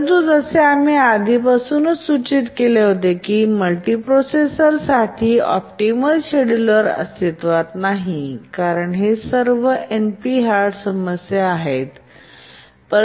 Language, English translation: Marathi, But as you already indicated that optimal schedulers for multiprocessors are not there because these are all NP Hard problems